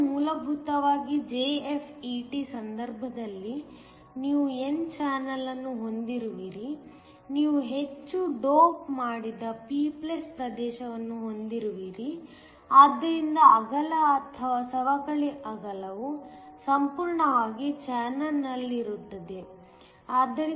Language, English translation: Kannada, So, basically in the case of a JFET, you have a heavily doped p + region when you have an n channel, so that the width or the depletion width is almost entirely in the channel